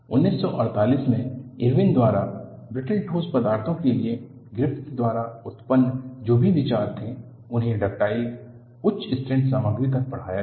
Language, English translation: Hindi, Whatever the ideas generated by Griffith, for brittle solids was extended to ductile, high strength materials by Irwin in 1948